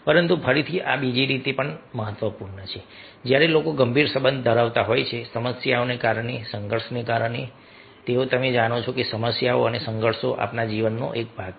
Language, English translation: Gujarati, but again, this is also where i have an important that: when people are having deep relationship due to the problem, due to the conflict because you know, problems and conflicts are part and parcel of our life we cannot run away